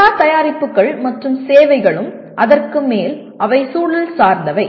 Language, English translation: Tamil, For all products and services and on top of that they are context dependent